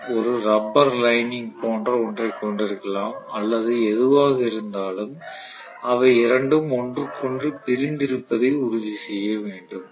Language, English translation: Tamil, So I may have something like a rubber lining or whatever so that will essentially make sure that the two are insulated from each other